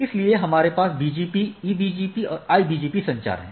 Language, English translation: Hindi, So, we have BGP, EBGP, IBGP communication